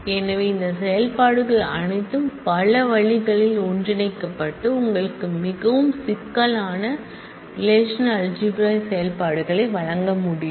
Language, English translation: Tamil, So, all these operations can be combined in multiple different ways to give you really complex relational algebra operations